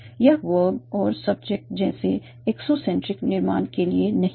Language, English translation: Hindi, It is not the case for adrocentric construction like verb and subject